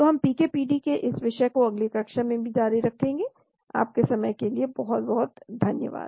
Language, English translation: Hindi, , so we will continue more on this topic of PK PD in the next class as well, thank you very much for your time